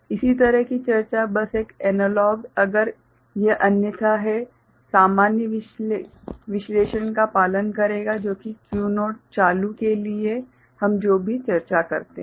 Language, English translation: Hindi, Similar discussion, just a analogues, if it is otherwise the similar analysis will follow which is equivalent for whatever we discuss for Q naught being ON